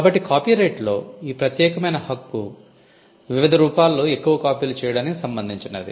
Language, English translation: Telugu, So, the set of exclusive right in copyright pertain to making more copies in different forms